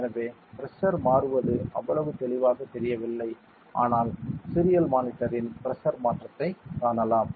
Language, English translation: Tamil, So, if the pressure in change would not be so visible, but still you can see a pressure change in the serial monitor ok